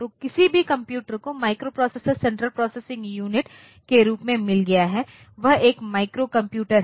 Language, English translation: Hindi, So, any computer that has got a microprocessor as its central processing unit is a microcomputer